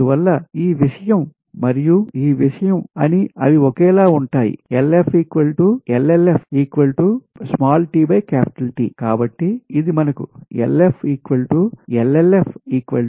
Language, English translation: Telugu, therefore, this thing and this thing, they are same lf, llf, lf is equal to llf